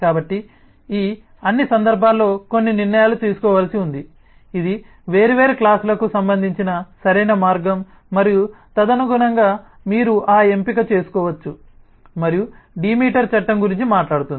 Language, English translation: Telugu, so there is certain decisions to be made in all these cases as to which one is the right way to relate different classes and accordingly, you can, you should make that choice and that is what the law of demeter talks about